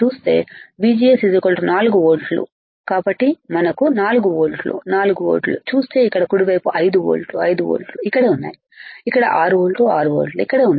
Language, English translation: Telugu, So, 4 volts we had to 4 volts is here right, where is 5 volts 5 volts is here right where is 6 volts 6 volts is here right